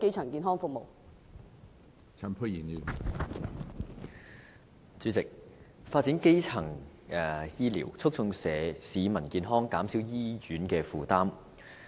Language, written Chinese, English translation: Cantonese, 主席，我支持發展基層醫療，促進市民健康，減少醫院的負擔。, President I support the idea that the Government should develop primary health care services promote public health and reduce the burden on hospitals